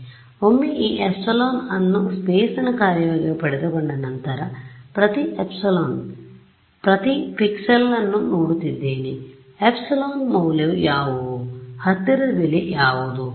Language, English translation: Kannada, So, once I have got my this epsilon as a function of space, I just look up each pixel what is the value epsilon, what is the nearest fit